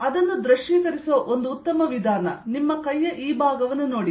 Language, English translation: Kannada, a one way of good way of visualizing it: look at this part of your hand